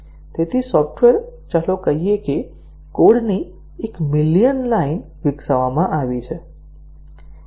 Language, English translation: Gujarati, So the software let us say a million line of code has been developed